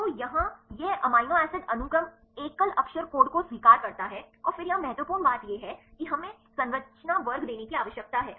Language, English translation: Hindi, So, here it accepts the amino acid sequence single letter code and then here the important thing is we need to give the structure class